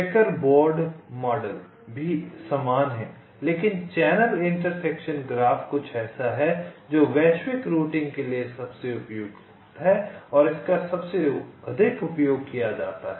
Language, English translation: Hindi, checker board model is also similar, but channel intersection graph is something which is the most suitable for global routing and is most wide used